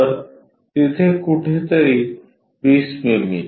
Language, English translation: Marathi, So, this will be 20 mm ok